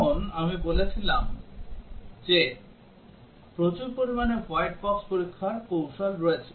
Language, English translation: Bengali, As I was saying that there are large numbers of white box testing techniques